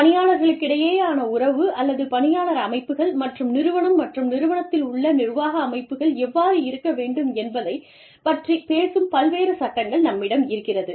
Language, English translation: Tamil, We have, various laws, that talk about, how the relationship, or, between the employees, the employee bodies, and the organization, and the administrative bodies, in the organization, should be